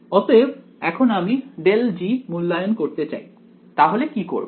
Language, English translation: Bengali, So, now, if I want to evaluate grad g what do I do